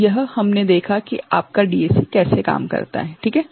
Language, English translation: Hindi, So, this is how your DAC works